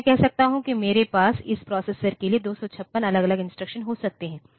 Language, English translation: Hindi, So, I can say that I can have 256 different instructions for this processor